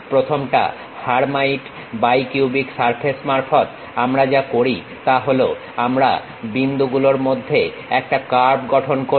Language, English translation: Bengali, The first one, in terms of Hermite bi cubic surfaces, what we do is we construct a curve between points